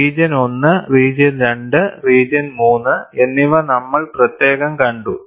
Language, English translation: Malayalam, We have seen separately region 1, region 2, region 3